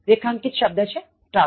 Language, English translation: Gujarati, Underlined word trouser